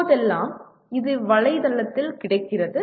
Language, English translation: Tamil, And these days it is available on the net